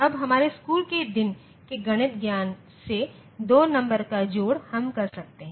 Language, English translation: Hindi, Now, addition of 2 numbers from our school day knowledge in mathematics, we can do that